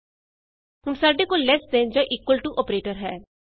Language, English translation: Punjabi, we now have the equal to operator